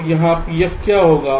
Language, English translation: Hindi, so what will be pf here